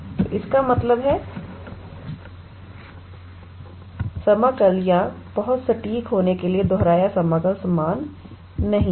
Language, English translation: Hindi, So that means, the double integral or to be very precise the repeated integral are not equal